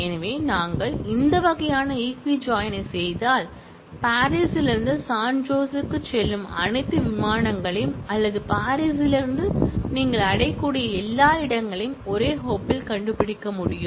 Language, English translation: Tamil, So, if we do this kind of a self equi join, then we will be able to find out all flights that go from Paris to San Jose or all places that you can reach from Paris in one hop